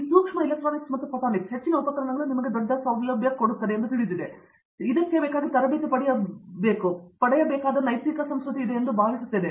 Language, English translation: Kannada, This micro electronics and photonics, the most of the instruments are you know huge facilities and I think it is more of ethical culture than anything that can be trained